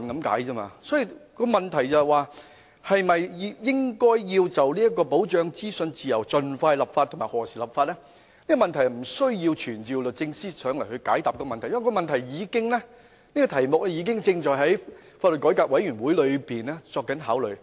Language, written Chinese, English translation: Cantonese, 因此，現時的問題在於應否就保障資訊自由盡快立法及何時立法，而這問題是無須傳召律政司司長來解答的，因為此事已交由法改會考慮。, Therefore the question now is whether a law should be enacted as soon as possible to protect the freedom of information and when such a law will be enacted . We need not summon the Secretary for Justice to answer this question because the matter is being deliberated by LRC